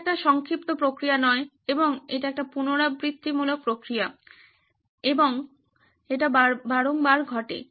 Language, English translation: Bengali, It is not a one short process but it is an iterative process and happens many times over